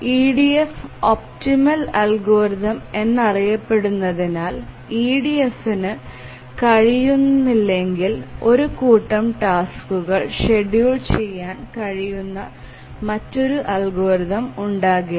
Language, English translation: Malayalam, EDF, we saw that it is the optimal algorithm, there can be no other algorithm which can schedule a set of tasks if EDF cannot